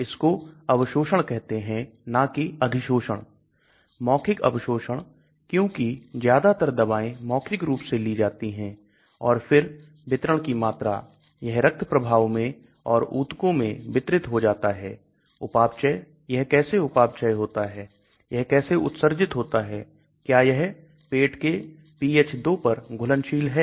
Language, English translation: Hindi, It is called absorption not adsorption, oral absorption because most of the drugs are taken orally and then volume of distribution, it gets distributed into the blood stream as well as into the tissues, the metabolism, how it gets metabolised, how it gets excreted is it have solubility at pH = 2 that is your stomach